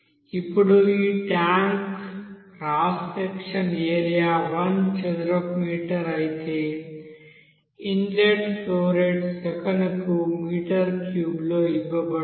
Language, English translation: Telugu, Now, this tank you know cross sectional area is given 1 meter square, whereas the you know inlet flow rate is given a meter cube per second